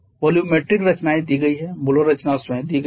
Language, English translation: Hindi, The volumetric compositions are given means the molar composition itself is given